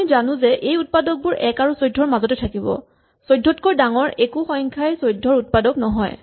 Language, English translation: Assamese, So, by our observation above the factors of 14 must lie between one and 14 nothing bigger than 14 can be a factor